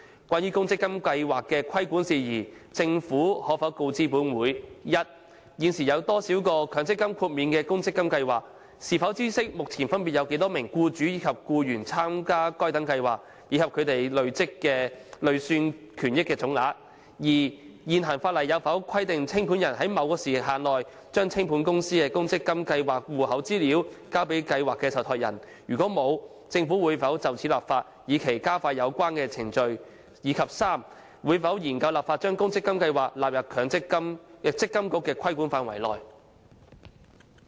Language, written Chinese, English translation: Cantonese, 關於公積金計劃的規管事宜，政府可否告知本會：一現時有多少個獲強積金豁免的公積金計劃；是否知悉目前分別有多少名僱主和僱員參加該等計劃，以及它們的累算權益總額；二現行法例有否規定清盤人須在某時限內把清盤公司的公積金計劃戶口資料送交計劃受託人；如否，政府會否就此立法，以期加快有關程序；及三會否研究立法把公積金計劃納入積金局的規管範圍？, Regarding the regulation of ORSO schemes will the Government inform this Council 1 of the current number of ORSO schemes that have been granted MPF exemption; whether it knows the respective current numbers of employers and employees who have joined such schemes and the total accrued benefits under such schemes; 2 whether a liquidator is required under the existing legislation to furnish within a certain timeframe the account information of the ORSO scheme of the company in liquidation to the trustee of the scheme; if not whether the Government will enact legislation in this regard with a view to expediting the relevant procedure; and 3 whether it will study the enactment of legislation to include ORSO schemes in the regulatory scope of MPFA?